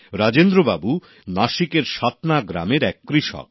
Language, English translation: Bengali, Rajendra ji is a farmer from Satna village in Nasik